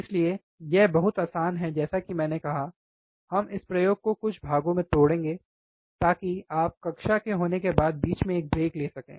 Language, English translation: Hindi, So, this is very easy so, like I said, we will break this experiment into few parts so, that you can take a break in between after you have the class